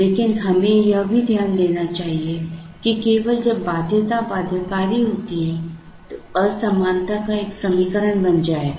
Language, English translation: Hindi, But, we should also note that only when the constraint is binding the inequality will become an equation